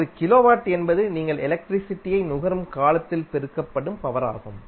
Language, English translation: Tamil, 1 kilowatt means the power multiplied by the the duration for which you consume the electricity